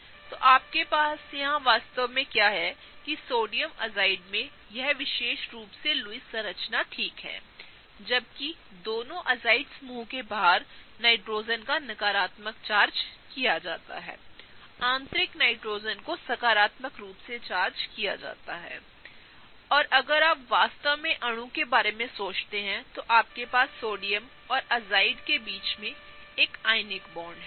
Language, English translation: Hindi, So, what you have here in fact is that the sodium azide has this particular Lewis structure okay; whereas both the Nitrogen’s on the outside of the azide group are negatively charged; the internal Nitrogen is positively charged, and together if you really think about the molecule you have an ionic bond between Sodium and Azide